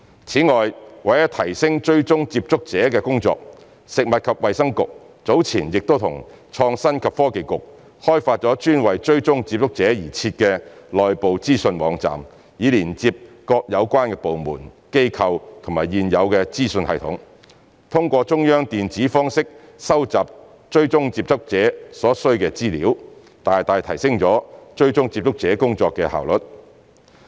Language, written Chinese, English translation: Cantonese, 此外，為了提升追蹤接觸者的工作，食物及衞生局早前已與創新及科技局開發專為追蹤接觸者而設的內部資訊網站，以連接各有關部門、機構及現有資訊系統，通過中央電子方式收集追蹤接觸者所需的資料，大大提升了追蹤接觸者工作的效率。, Moreover in order to enhance contact tracing the Food and Health Bureau and the Innovation and Technology Bureau have jointly developed an internal information website for contact tracing which links up all relevant departments institutions and existing information systems with a view to collecting the information needed to trace contacts through a centralized electronic means which has significantly improved the efficiency of contact tracing